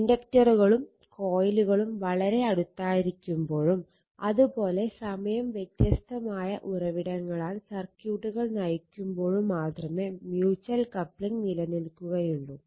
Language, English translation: Malayalam, Mutual coupling only exist when the inductors are coils are in close proximity and the circuits are driven by time varying sources